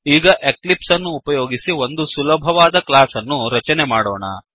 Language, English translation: Kannada, Now, let us create a simple class using Eclipse